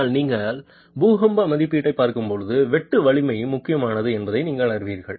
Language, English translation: Tamil, But you know that when we are looking at earthquake assessment, shear strength becomes important